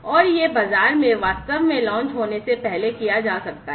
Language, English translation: Hindi, And these could be done before they are actually launched in the market